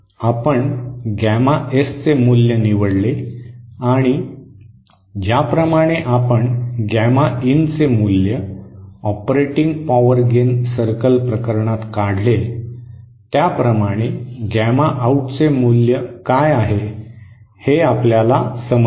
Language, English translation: Marathi, We chose the value of gamma S and then find out what is the value of gamma out just like we found out what is the very of gamma in for the operating power gain circle case